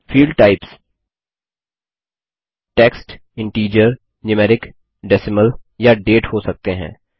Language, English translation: Hindi, Field types can be text, integer, numeric, decimal or date